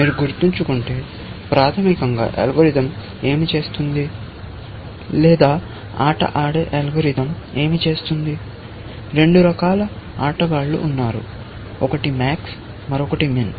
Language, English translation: Telugu, If you remember, what the algorithm basically, does or what the game playing algorithm does is that there are two kinds of players; one is max, and the other is min